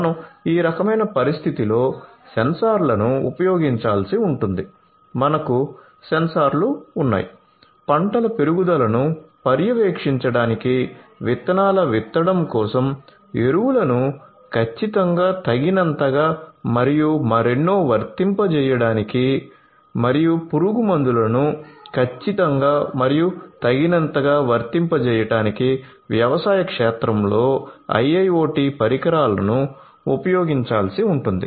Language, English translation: Telugu, So, in this kind of scenario sensors will have to be used you have sensors IIoT devices will have to be used in the agricultural field for monitoring the growth of the crops, for monitoring the sowing of the seeds, for applying fertilizers you know precisely adequately and so on and also to precisely and adequately apply the pesticides